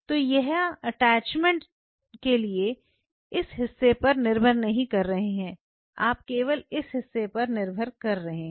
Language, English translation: Hindi, So, here you are not really relying on this part for the attachment you realize it, you are only relying on this part